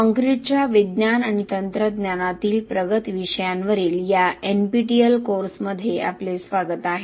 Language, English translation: Marathi, Welcome to this NPTEL course on advanced topics in science and technology of concrete